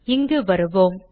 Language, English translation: Tamil, Let me come here